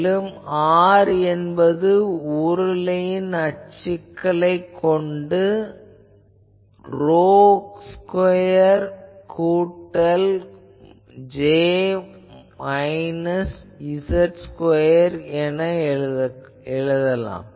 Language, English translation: Tamil, And also what is R, R is nothing but if we go to cylindrical coordinates rho square plus j minus z dashed whole square